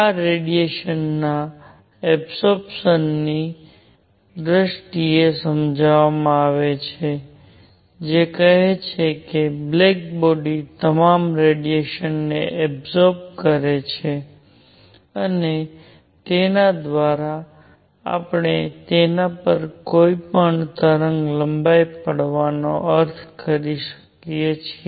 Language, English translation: Gujarati, This is explained in terms of absorption of radiation which says that a black body absorbs all the radiation; and by that we mean any wavelength falling on it